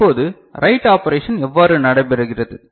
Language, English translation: Tamil, Now, how the write operation takes place